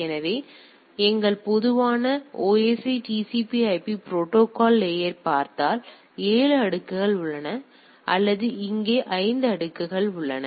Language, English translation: Tamil, So, if we look at our common OSI TCP/IP protocol stack; so there are here 7 layers or here 5 layers now